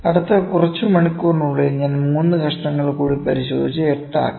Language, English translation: Malayalam, In the next few hours I selected I inspected further 3 pieces that makes it to 8